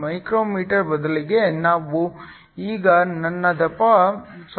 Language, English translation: Kannada, 35 μm, I now reduced my thickness to 0